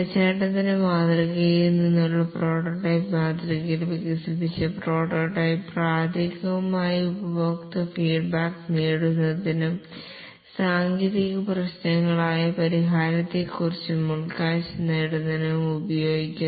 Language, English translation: Malayalam, In the prototyping model, which is a derivative of the waterfall model, the developed prototype is primarily used to gain customer feedback and also to get insight into the solution, that is the technical issues and so on